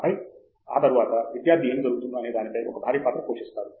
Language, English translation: Telugu, And then, after that, the student plays a huge role in what happens